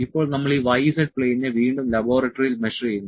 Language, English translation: Malayalam, Now, we will measure this y z plane again in laboratory